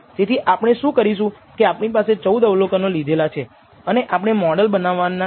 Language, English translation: Gujarati, So, what we do is we have these 14 observations we have taken and we are going to set up the model form